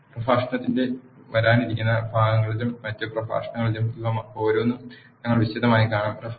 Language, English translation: Malayalam, We will see in detail about each of this in the coming parts of the lecture and the other lectures also